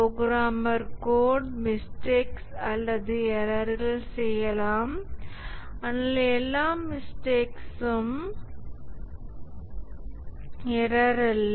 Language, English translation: Tamil, The code, the programmer may make mistakes or errors, but all errors are not faults